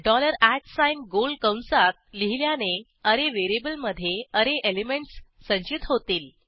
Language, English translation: Marathi, Dollar @ within round brackets stores array elements in variable array